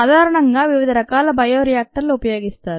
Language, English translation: Telugu, different types of bioreactors are commonly used